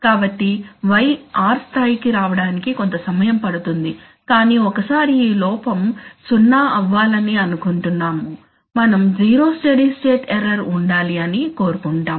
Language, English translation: Telugu, So y will have to, y will take some time to come to the level of r but once it comes we want that this error will be 0, we want zero steady state error, this is our wish